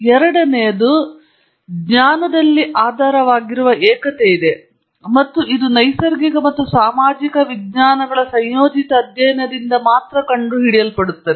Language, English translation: Kannada, The second is that there is an underlying unity in knowledge and this can be discovered only by a combined study of the natural and social sciences